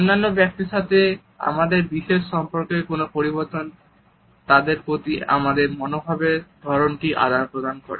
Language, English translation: Bengali, Any change in our special relationship with other people also communicates the type of attitude we have towards them